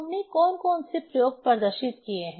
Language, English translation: Hindi, What are the experiments we have demonstrated